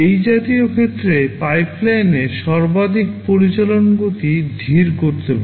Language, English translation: Bengali, Such cases can slow down the maximum operational speed of a pipeline